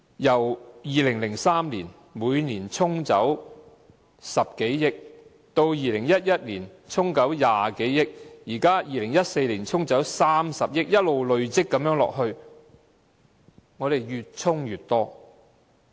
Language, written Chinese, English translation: Cantonese, 由2003年起，每年對沖10多億元 ，2011 年對沖20多億元 ，2014 年對沖30億元，越"沖"越多。, Since 2003 over 1 billion has been offset each year and over 2 billion was offset in 2011 and over 3 billion was offset in 2014 . The amount offset has been increasing year by year